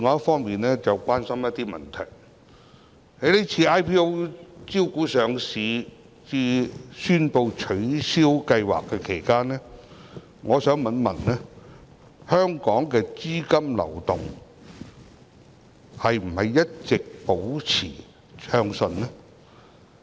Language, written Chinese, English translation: Cantonese, 就此，我想詢問，在這次 IPO 招股至宣布取消上市計劃期間，香港的資金流動是否一直保持暢順？, In this connection my question is In this IPO exercise was the capital flow of Hong Kong smooth at all times from the invitation to subscription to the announcement of listing suspension?